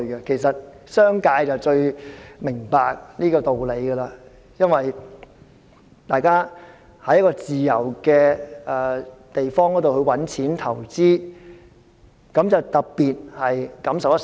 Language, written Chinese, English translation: Cantonese, 其實，商界最明白這個道理，因為大家在自由的地方賺錢投資，特別感受良深。, In fact the business sector understands that principle very well . They especially have stronger feelings as they are making profits and investments in a place of freedom